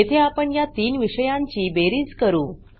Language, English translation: Marathi, Here we calculate the total of three subjects